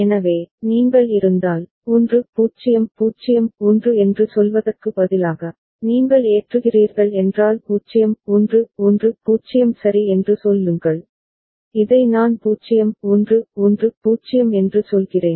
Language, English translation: Tamil, So, if you are, instead of say 1 0 0 1, if you are loading say 0 1 1 0 ok, I mean this 0 1 1 0